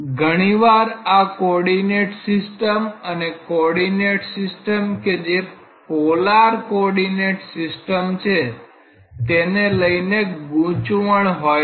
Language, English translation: Gujarati, Many times there is a confusion between this coordinate system and the coordinate system that is used in a cylindrical polar coordinate system